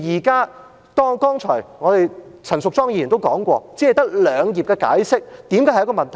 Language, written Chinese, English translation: Cantonese, 剛才陳淑莊議員也說過，為何只有兩頁的解釋會是一個問題呢？, Earlier on Ms Tanya CHAN also pointed out why having only two pages of explanation is a problem?